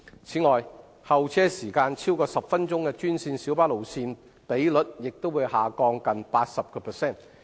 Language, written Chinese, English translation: Cantonese, 此外，候車時間超過10分鐘的專線小巴路線比率也會下降近 80%。, Besides the ratio of green minibus routes with waiting time of over 10 minutes will reduce by nearly 80 %